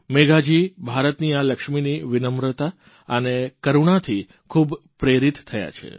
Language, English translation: Gujarati, Megha Ji is truly inspired by the humility and compassion of this Lakshmi of India